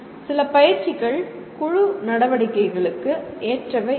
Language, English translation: Tamil, Some are not suitable for group activity